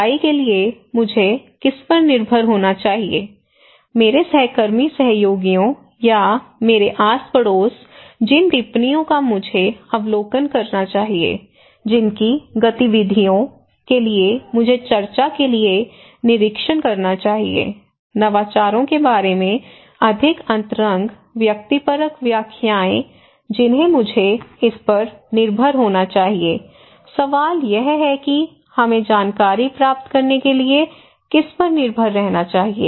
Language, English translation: Hindi, For hearing, whom I should depend; to my cohesive partners or my neighbourhoods, for observations whom I should observe, whose activities I should observe for discussions, more intimate subjective interpretations about the innovations, whom should I depend on so, the question is to whom we should depend for acquiring information